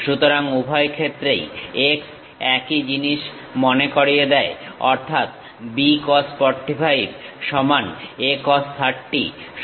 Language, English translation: Bengali, So, in both cases x remind same means, B cos 45 is equal to A cos 30